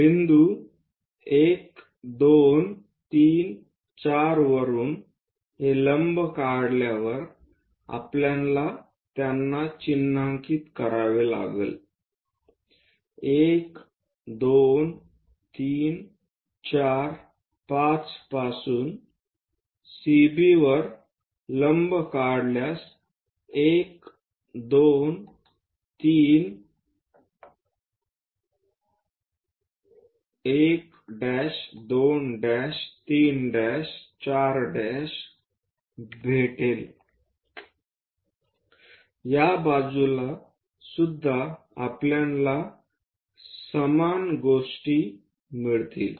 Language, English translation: Marathi, Now, we have to mark once we drop this perpendiculars from points 1 2 3 4, let us call 1 2 3 4 5 drawing perpendiculars on to CB to get 1 prime 2 prime 1 prime 2 prime 3 prime 4 prime same thing on this side also we will get